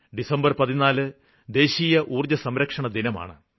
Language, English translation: Malayalam, 14th December is "National Energy Conservation day"